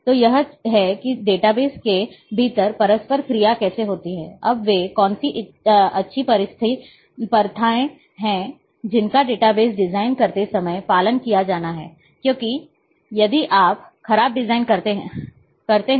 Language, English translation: Hindi, So, this is what how the interactions within the data base happens, now what are the good practices which should be followed while designing a database, that you know the because, if you design poorly